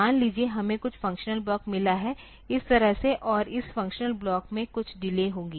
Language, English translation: Hindi, Suppose, we have got some functional block like this and this functional block it will have some delay